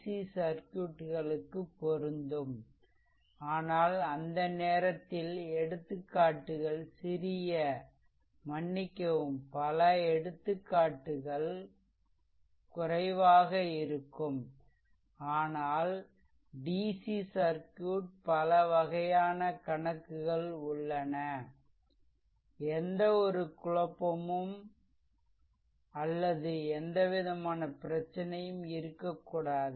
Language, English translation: Tamil, So, all this things similarly applicable to ac circuits, but at that time examples will be small ah sorry exams number of examples will be less ah, but in dc circuit varieties of problem I am showing such that you should not have any confusion or any any sort of problem